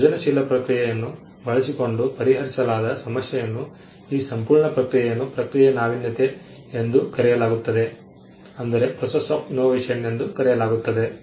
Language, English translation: Kannada, When there is a problem that is solved using a creative process this entire process is called Process of Innovation